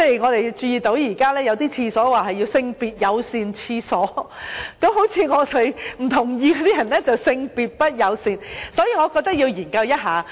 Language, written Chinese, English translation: Cantonese, 我們還注意到，現在有些廁所稱為"性別友善廁所"，這樣好像是說我們這些不認同的人便是"性別不友善"，所以我覺得要研究一下。, I have also noticed that some toilets are now referred to as gender - neutral toilets which seems to suggest that critics like us are gender - unfriendly . Therefore I think it is necessary to carry out some studies in this respect